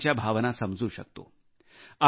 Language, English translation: Marathi, I understand his sentiments